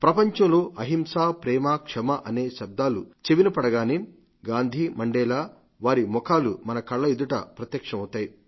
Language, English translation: Telugu, Whenever we hear the words nonviolence, love and forgiveness, the inspiring faces of Gandhi and Mandela appear before us